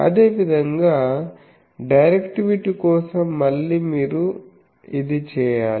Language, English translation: Telugu, Similarly directivity again this needs to be done